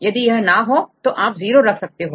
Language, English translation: Hindi, If it is not then you can put 0 otherwise